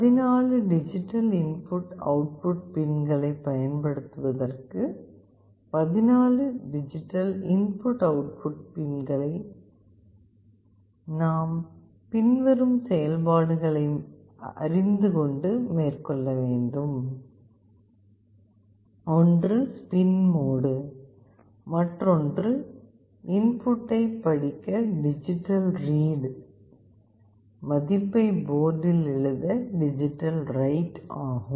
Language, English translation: Tamil, And for using the 14 digital input output pins, we need to know the following functions: one is spin mode, another is digital read for reading the input, digital write to write the value into the port